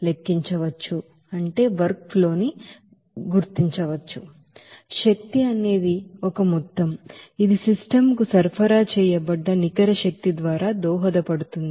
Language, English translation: Telugu, And those you know that energy as a sum that will be contributed by the net energy supplied to the system